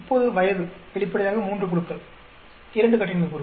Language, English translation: Tamil, Now age there are three groups obviously, 2 degrees of freedom